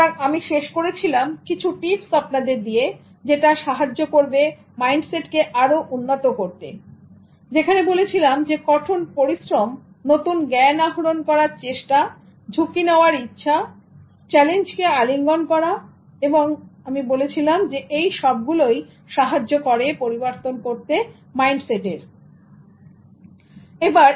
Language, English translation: Bengali, So I ended up by giving some tips for developing growth mindset such as hardworking, gaining new knowledge, willing to take risks or embracing challenges and I said that this will generally facilitate growth mindset